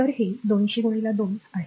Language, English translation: Marathi, So, this is 200 into 2